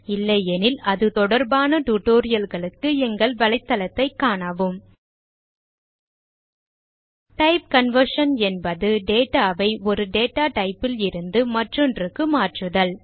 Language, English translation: Tamil, If not, for relevant tutorial please visit our website as shown Type conversion means converting data from one data type to another